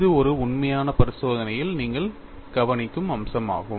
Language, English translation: Tamil, And this is the feature that you observe in an actual experiment